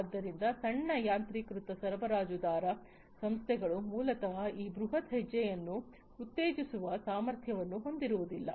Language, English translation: Kannada, So, small automation supplier firms basically lack the capability to incentivize this huge step